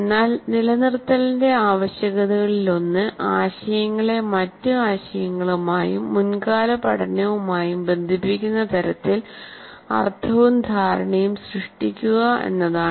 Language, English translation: Malayalam, But one of the requirements of retention is linking them in a way that relates ideas to other ideas and to prior learning and so creates meaning and understanding